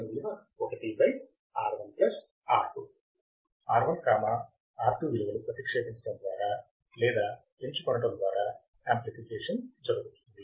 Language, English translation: Telugu, Amplification is done by substituting the values of or selecting the values of R1 and R2